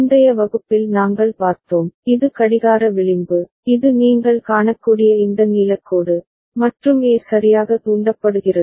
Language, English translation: Tamil, And we had seen in the previous class, this is the clock edge, this one this blue line you can see, and A is getting triggered right